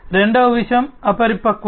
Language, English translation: Telugu, The second thing is the immaturity